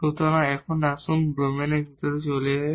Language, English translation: Bengali, So, let us move to inside the domain first